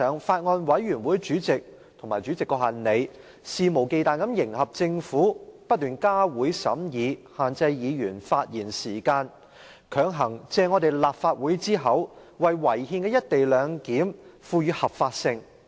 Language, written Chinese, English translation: Cantonese, 法案委員會主席和立法會主席肆無忌憚地迎合政府，不斷加會審議、限制議員發言時間，強行借立法會之口，為違憲的"一地兩檢"賦予合法性。, The Chairman of the Bills Committee and the President of the Legislative Council have brazenly pandered to the Government kept holding additional meetings to scrutinize the Bill and curtailed Members speaking time with a view to coercing the Legislative Council into legitimizing the unconstitutional co - location arrangement